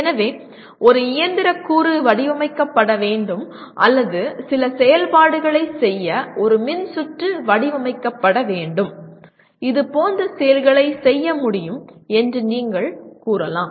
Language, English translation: Tamil, So you can say a mechanical component should be designed or a circuit that can be designed to perform some function, that part can be done